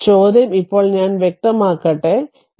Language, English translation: Malayalam, So, question is now that let me clear it